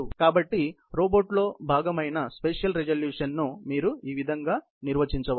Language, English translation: Telugu, So, that is how you define in the spatial resolution part of the robot